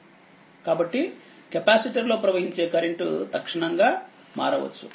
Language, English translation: Telugu, So, conversely the current to a capacitor can change instantaneously